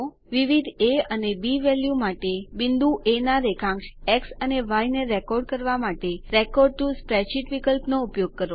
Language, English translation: Gujarati, Use the Record to Spreadsheet option to record the x and y coordinates of a point A, for different a and b value combinations